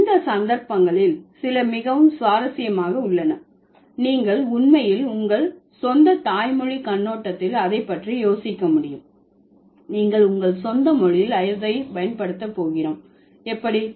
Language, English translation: Tamil, So these are some instances, some very interesting instances where you can actually think about it from your own mother language perspective, how you are going to use it in your own language